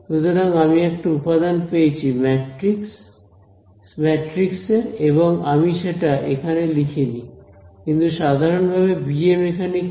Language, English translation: Bengali, So, I have got a matrix element and I did not write it over here, but it is trivial to see what is bm in this case